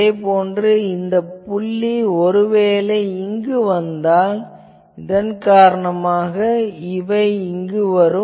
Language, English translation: Tamil, Similarly, this point is put here, but the value is actually here